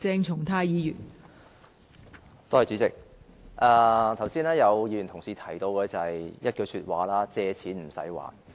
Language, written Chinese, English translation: Cantonese, 代理主席，剛才有議員提到一句說話：借錢不用還。, Deputy President earlier on I heard this remark made by Members Taking out loans without having to make any repayment